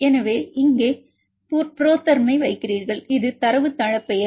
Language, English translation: Tamil, So, you put the ProTherm here this is the database name